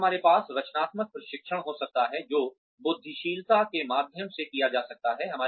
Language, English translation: Hindi, And, we can have creativity training, which can be done through brainstorming